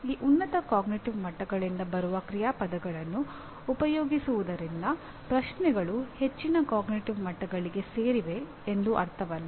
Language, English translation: Kannada, By merely putting action verbs that come from these higher cognitive levels does not mean that actually the questions belong to higher cognitive levels